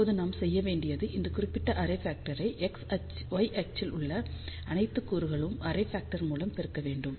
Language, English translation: Tamil, So, all we need to do it is we multiply this particular array factor with an array factor of the elements along the y axis